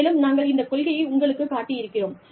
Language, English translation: Tamil, And, then this policy, we have shown you